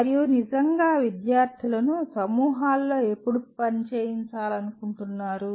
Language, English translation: Telugu, And when do you actually want to work students in groups